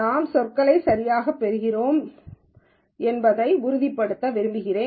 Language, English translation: Tamil, I just want to make sure that we get the terminology right